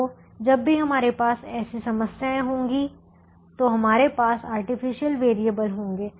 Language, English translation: Hindi, so whenever we have such problems we will have artificial variables